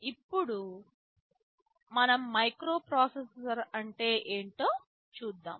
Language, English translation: Telugu, Let us now come to a microprocessor